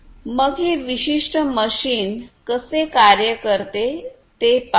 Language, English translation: Marathi, So, let us have a look at how this particular machine functions